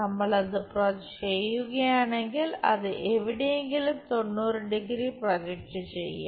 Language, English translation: Malayalam, If we are doing that it will be somewhere projecting it 90 degrees